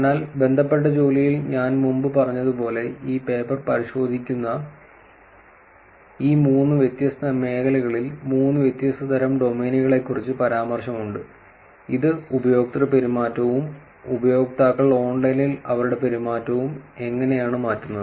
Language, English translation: Malayalam, So, as I said before in related work that there is mention of three different types of domains in this three different areas that this paper attacks which is evolving user behavior how users are actually changing the behavior online